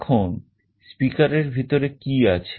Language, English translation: Bengali, Now, what is there inside a speaker